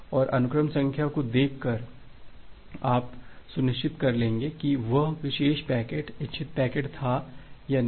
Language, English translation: Hindi, And by looking into the sequence number, you will become sure whether that particular packet was the intended packet or not